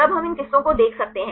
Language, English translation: Hindi, Then we can see these strands